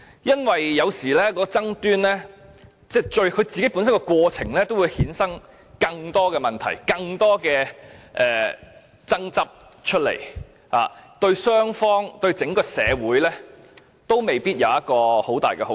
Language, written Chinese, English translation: Cantonese, 因為，有時爭論的過程會衍生出更多問題、更多爭執，對雙方及整個社會都未必有很大的好處。, During a dispute more issues and disagreements are often generated and this may not do much good to the two sides as well as the society at large